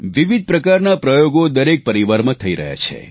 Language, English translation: Gujarati, All sorts of experiments are being carried out in every family